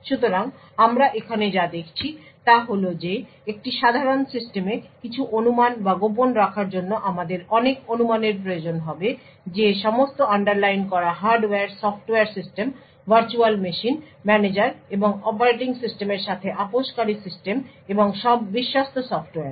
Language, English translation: Bengali, So what we see over here is that in order to assume or keep something secret in a normal system we would require a huge amount of assumptions that all the underlined hardware the system software compromising of the virtual machines, managers and the operating system are all trusted